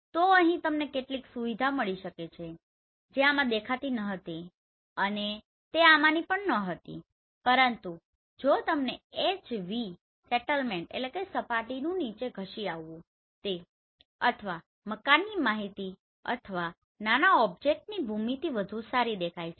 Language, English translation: Gujarati, So here you can find some features which was not visible in this one and not even this one, but if you see HV your settlement or the building information or the geometry of smaller objects are better